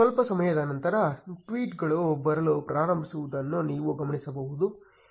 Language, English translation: Kannada, You will notice that in a while the tweets will start coming